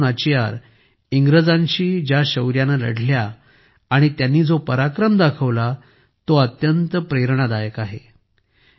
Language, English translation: Marathi, The bravery with which Rani Velu Nachiyar fought against the British and the valour she displayed is very inspiring